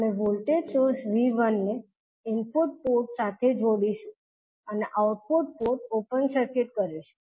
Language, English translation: Gujarati, We will connect the voltage source V1 to the input port and we will open circuit the output port